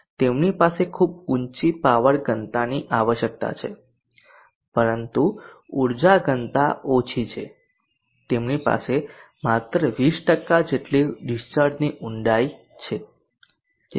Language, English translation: Gujarati, They have very high power density requirement but the energy density is low, they have the depth of discharge of around 20% only